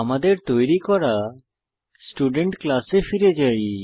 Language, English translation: Bengali, Let us go back to the Student class we had already created